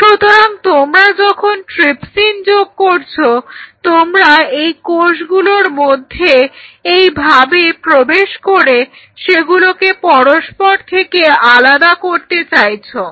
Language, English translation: Bengali, So, what you are essentially doing while you are putting trypsin you are trying to you know separate out the cells by penetrating in between like this